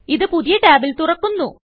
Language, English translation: Malayalam, It opens in a new tab